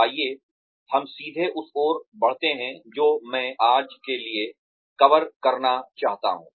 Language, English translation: Hindi, Let us, straight away move on to, what I intend to cover for today